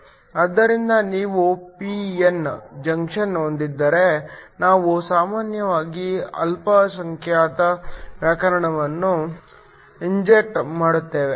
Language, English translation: Kannada, So, if you have a p n junction, we typically inject the minority carriers